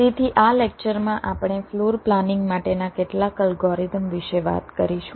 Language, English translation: Gujarati, so in this lecture we shall be talking about some of the algorithms for floor planning